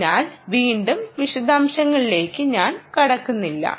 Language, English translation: Malayalam, so again, i dont want to get into those details